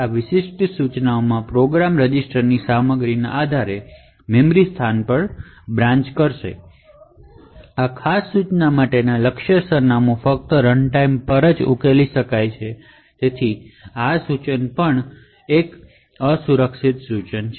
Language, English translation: Gujarati, So, in this particular instruction the program would branch to a memory location depending on the contents of the eax register, the target address for this particular instruction can be only resolved at runtime and therefore this instruction is also an unsafe instruction